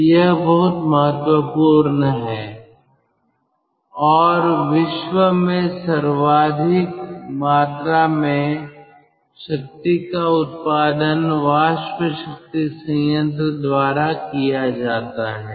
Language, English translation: Hindi, so this is very important and a large portion of the world power that is generated by steam power plant